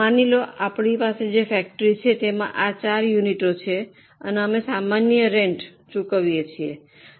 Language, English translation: Gujarati, Suppose for our factory which has these four units we pay common rent